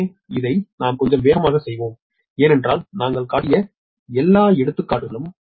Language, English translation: Tamil, so this one i made little bit faster because all examples we have shown right